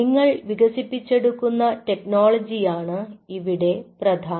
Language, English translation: Malayalam, important is the technology, what you are offering